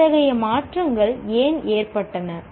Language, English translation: Tamil, Why did such changes occur